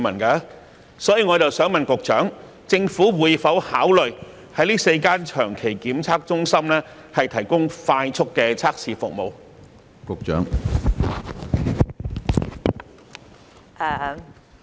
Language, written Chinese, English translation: Cantonese, 因此，我想問局長，政府會否考慮在這4個長期的檢測中心提供快速檢測服務？, Therefore may I ask the Secretary whether the Government will consider providing rapid test services in these four long - term testing centres?